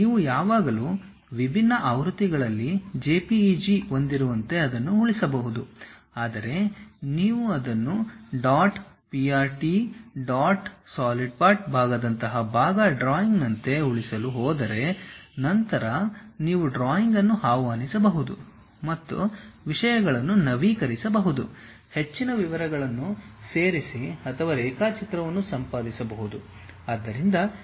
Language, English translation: Kannada, You can always save it at different versions also like you have different kind of formats JPEG you can save it and so on, but if you are going to save it like part drawing like dot prt or dot sld part, later you can really invoke the drawing and update the things, add further more details or edit the drawing also we can do